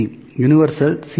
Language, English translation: Tamil, C) Universal C